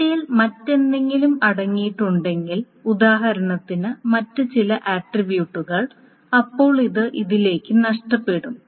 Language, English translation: Malayalam, If the theta contains anything else, for example, some other attributes, then that is going to be lost into this